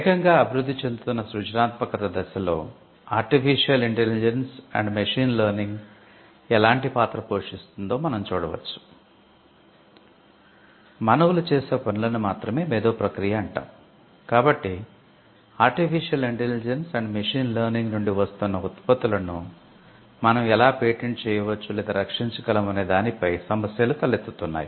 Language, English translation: Telugu, So, one way though there are issues being raised to how we could patent or protect the products that are coming out of artificial intelligence and machine learning